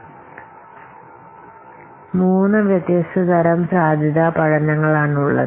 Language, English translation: Malayalam, So, there are three kinds of feasibility study